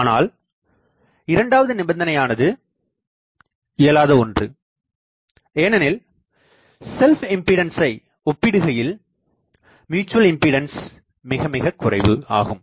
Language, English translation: Tamil, But this second condition is not possible, because the self impedance and the mutual impedance